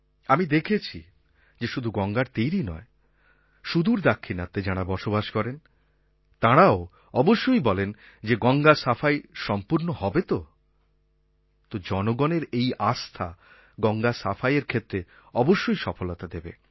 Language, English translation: Bengali, I have seen that not just on the banks of Ganga, even in far off South if one meets a person, he is sure to ask, " Sir, will Ganga be cleaned